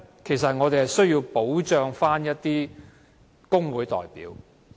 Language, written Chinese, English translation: Cantonese, 其實，我們想要保障的是工會代表。, We are in fact trying to protect representatives of trade unions